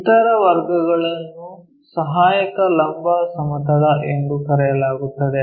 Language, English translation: Kannada, The other categories called auxiliary vertical plane